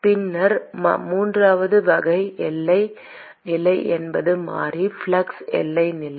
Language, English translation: Tamil, And then, the third type of boundary condition is the variable flux boundary condition